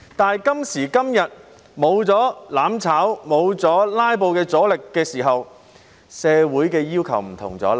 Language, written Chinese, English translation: Cantonese, 但今時今日，沒有了"攬炒派"、沒有了"拉布"的阻力的時候，社會的要求便有所不同了。, But today when there is neither the mutual destruction camp nor the obstruction caused by filibustering what the community expects has become different